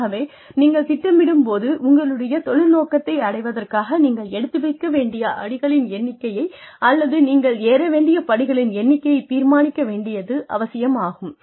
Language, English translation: Tamil, So, when you plan, you decide, the number of steps, you need to take, or the number of steps, you need to climb, in order to reach, your career objective